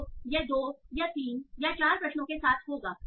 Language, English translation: Hindi, So, this will happen with two or three questions